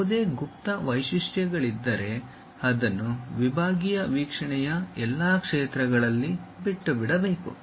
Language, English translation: Kannada, If there are any hidden features, that should be omitted in all areas of sectional view